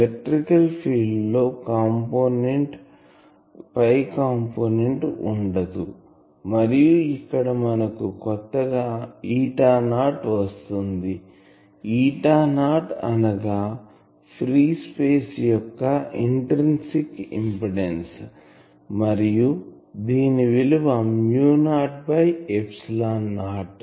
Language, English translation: Telugu, The magnetic field has phi component, the electric field does not have any phi component here the new term is this eta not; eta not is the intrinsic impedance of free space and given by mu not by epsilon not